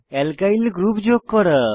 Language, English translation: Bengali, Alkyl group is a fragment of Alkane